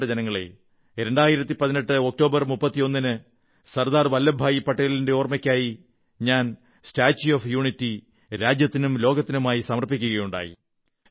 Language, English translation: Malayalam, My dear countrymen, the 31st of October, 2018, is the day when the 'Statue of Unity',in memory of Sardar Saheb was dedicated to the nation and the world